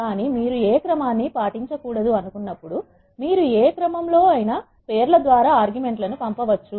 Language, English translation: Telugu, If you do not want to follow any order what you can do is you can pass the arguments using the names of the arguments in any order